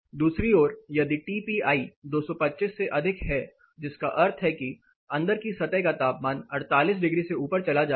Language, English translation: Hindi, On the other hand, if the TPI is greater than 225 which mean the inside surface temperature goes above 48 degree